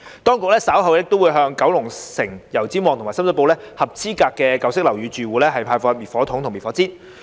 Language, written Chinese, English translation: Cantonese, 當局稍後亦會向油尖旺、九龍城及深水埗合資格舊式樓宇住戶派發滅火筒及滅火氈。, Fire extinguishers and fire blankets would also be distributed to eligible residents of old buildings in Yau Tsim Mong Kowloon City and Sham Shui Po in due course